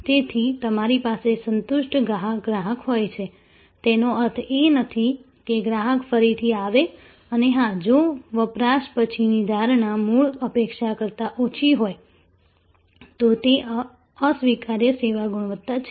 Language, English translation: Gujarati, So, even though, you have a satisfied customer, it will not mean a repeat customer and of course, if the perception after the consumption is less than the original expectation, then it is unacceptable service quality